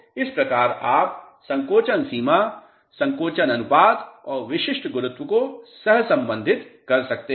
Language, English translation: Hindi, So, this is how you can correlate shrinkage limit and shrinkage ratio and the specific gravity